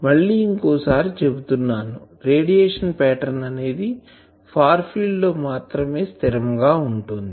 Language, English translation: Telugu, So, always radiation pattern should be taken only at the far field